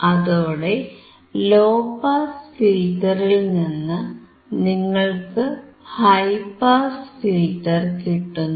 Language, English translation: Malayalam, And you can get high pass filter from low pass filter